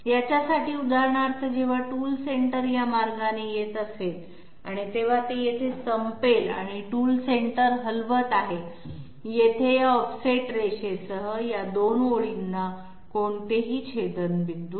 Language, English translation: Marathi, For example, when the tool Centre is coming this way, it ends here and the tool Centre is moving along here along this offset line, these 2 lines do not have any intersection